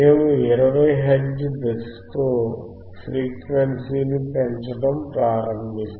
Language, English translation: Telugu, We will start increasing the frequency with the step of 20 hertz